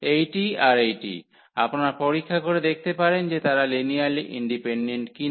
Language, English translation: Bengali, So, this one and this one, one can check where they are linearly independent